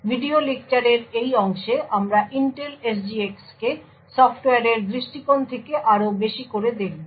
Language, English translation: Bengali, In this part of the video lecture we will look at Intel SGX more from a software perspective